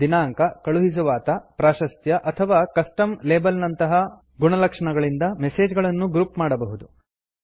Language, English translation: Kannada, You can group messages by attributes such as Date, Sender,Priority or a Custom label